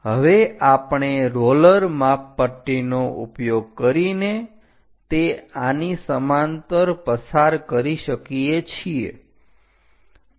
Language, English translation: Gujarati, Now we can use roller scaler if it can pass parallel to that